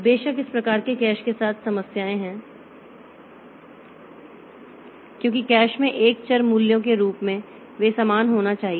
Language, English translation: Hindi, Of course there are problems with this type of caches because as are variables values across the caches they should be a uniform